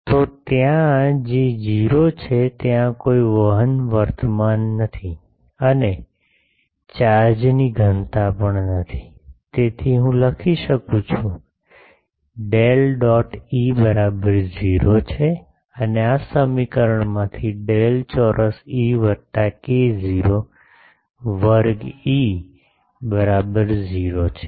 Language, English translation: Gujarati, So, there J is 0, there is no conduction current and also the there is no charge density, so I can write del dot E is equal to 0 and from these equation del square E plus k not square E is equal to 0 ok